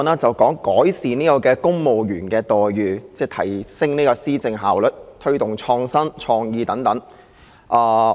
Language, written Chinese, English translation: Cantonese, 主席，今天討論的議案是"改善公務員待遇，提升施政效率及推動創意與創新"。, President the subject of the motion under discussion today is Improving the employment terms of civil servants enhancing the efficiency of policy implementation and promoting creativity and innovation